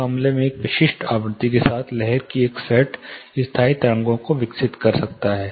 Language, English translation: Hindi, In this case a particular set of wave, you know specific frequency might develop standing waves